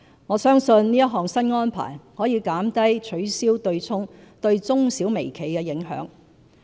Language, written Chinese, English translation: Cantonese, 我相信這項新安排可減低取消對沖對中小微企的影響。, I believe that the new arrangement can reduce the impact of abolishing the offsetting arrangement on micro small and medium - sized enterprises